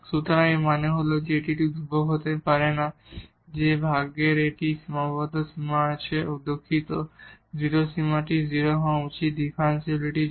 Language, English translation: Bengali, So, meaning that we cannot get such a constant so, that this quotient has a finite limit oh sorry the 0 limit this should be 0 for the differentiability